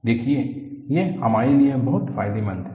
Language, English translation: Hindi, See, this is very advantageous for us